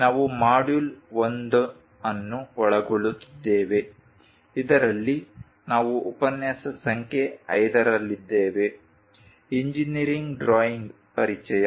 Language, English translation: Kannada, We are covering Module 1, in which we are on lecture number 5; Introduction to Engineering Drawing